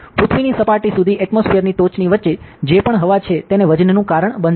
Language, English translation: Gujarati, So, whatever air is there in between the top of the atmosphere to the surface of earth, will be causing a weight